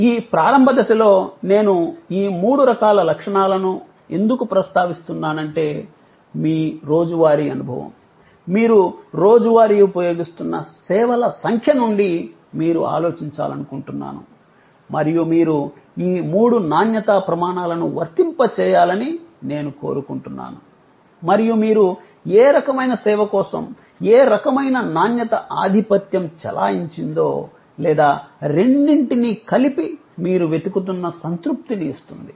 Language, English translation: Telugu, Why am I mentioning these three types of qualities at this early stage is because, I would like you to think about from your everyday experience, the number of services that you are daily using and I would like you to applying these three quality criteria and you will see that for what kind of service, which kind of quality was the dominant or which two combined to give you the satisfaction that you look for